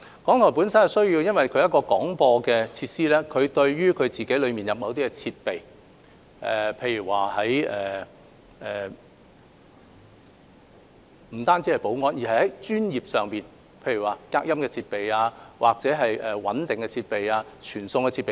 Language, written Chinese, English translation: Cantonese, 港台是一個廣播機構，對於內部的某些設備，不僅有保安上的要求，更有專業上的要求，例如隔音設備、穩定傳送設備等。, As a broadcaster RTHK requires certain equipment not only in terms of security but also from a professional perspective such as soundproof equipment and equipment for stable transmission